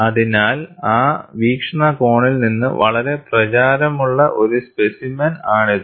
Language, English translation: Malayalam, So, it is a very popular specimen from that perspective